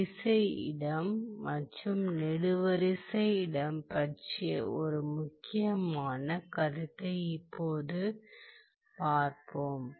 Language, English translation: Tamil, Let us now look at an important concept of, of the row space and column space